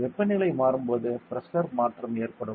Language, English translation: Tamil, So, when temperature changes there will be a change in pressure